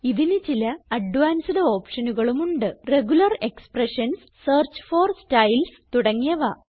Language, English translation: Malayalam, It has other advanced options like Regular expressions, Search for Styles and a few more